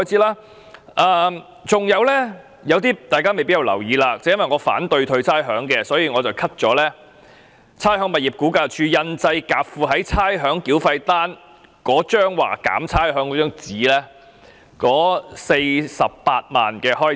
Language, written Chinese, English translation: Cantonese, 還有大家未必注意到的，正因為我反對退還差餉，所以我提出削減差餉物業估價署印製夾附於差餉繳費單的單張以解釋差餉寬減安排的共48萬元預算開支。, Moreover Members may not have noticed that precisely because I am opposed to the rates rebate I have proposed to deduct the estimated expenditure totalling 480,000 of the Rating and Valuation Department on printing leaflets to be attached to the rates demands to explain the rates concession arrangement